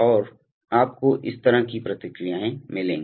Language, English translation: Hindi, And you will get responses like this